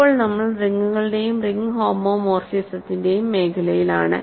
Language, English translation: Malayalam, So now, we are in the realm of rings and ring homomorphisms